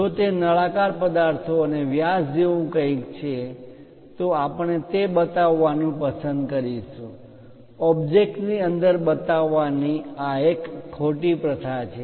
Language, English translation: Gujarati, If it is something like cylindrical objects and diameter we would like to show instead of showing within the object this is wrong practice